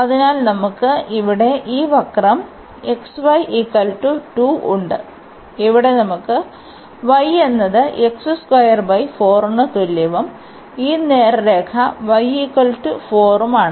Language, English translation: Malayalam, So, we have this curve here x y is equal to this is x y is equal to 2 and then we have here y is equal to x square by 4 and this straight line is y is equal to 4